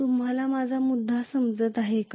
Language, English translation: Marathi, Are you getting my point